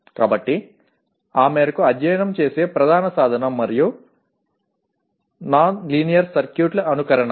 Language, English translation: Telugu, So to that extent the main tool of studying such and that to a nonlinear circuit is simulation